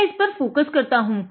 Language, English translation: Hindi, So, I have focused it